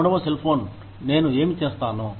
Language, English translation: Telugu, What will i do, with the third cell phone